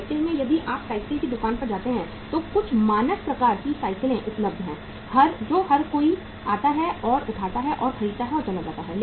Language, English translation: Hindi, In bicycle, if you go to a bicycle shop, there are certain standard kind of the bicycles available which everybody comes and picks up and buys and goes